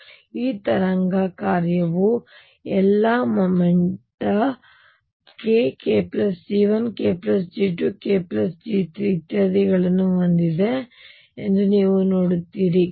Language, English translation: Kannada, And you see this wave function carries all momenta k, k plus G 1 k plus G 2 k plus G 3 and so on